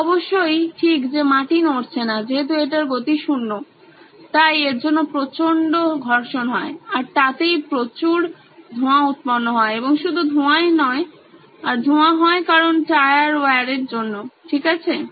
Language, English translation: Bengali, Obviously the ground is not moving, it’s at 0 speed so that’s going to lead to a lot of friction and hence leads to a lot of smoke and not only smoke, the smoke is because of all the tyre wear, okay